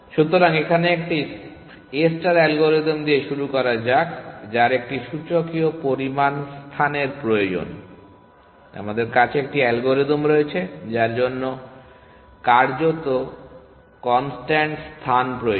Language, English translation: Bengali, So, here starting with an algorithm a star which required exponential amount of space, we have an algorithm which practically requires constant amount of space